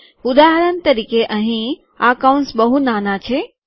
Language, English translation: Gujarati, For example here, these brackets are very small